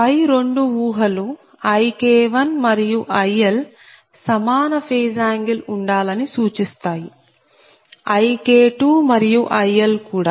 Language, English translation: Telugu, two assumptions suggest that ik one and il have the same phase angle, and so ik two and il